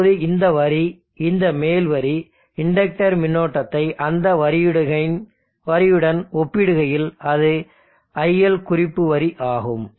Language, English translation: Tamil, Now this line here this top line here where the inductor current is comparing with that line is the higher reference line